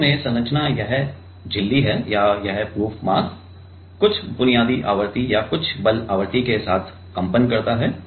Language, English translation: Hindi, So, initially the structure is this membrane or this proof mass is vibrated with some basic frequency or some force frequency